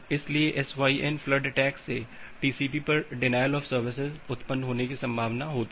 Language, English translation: Hindi, So, that is a possibility of a SYN flooding attack to launch a denial of service over TCP